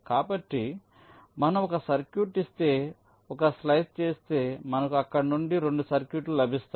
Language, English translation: Telugu, so, given a circuit, if you make a slice you will get two circuits from there